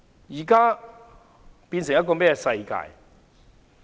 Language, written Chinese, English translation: Cantonese, 現在變成了甚麼世界？, What kind of a world is this?